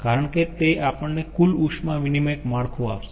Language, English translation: Gujarati, ah, because that will give us the total heat exchanger network